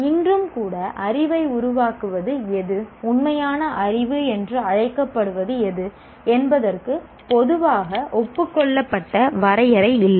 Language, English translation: Tamil, Even today, there is no commonly agreed definition of what constitutes knowledge and what constitutes what constitutes what is called true knowledge